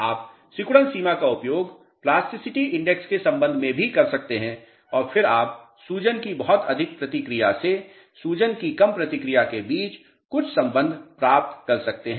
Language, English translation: Hindi, You can use shrinkage limit also with respect to plasticity index and then you can get some relationship between very high response of swelling to low response of swelling